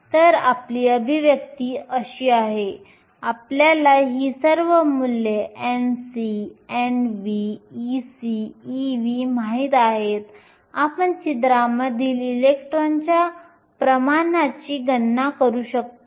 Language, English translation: Marathi, So, here is your expression, we know all these values n c, n v, e c, e v, we can calculate the concentration of electrons in holes